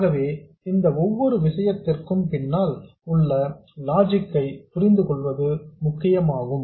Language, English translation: Tamil, So the important thing is to understand the logic behind each of these things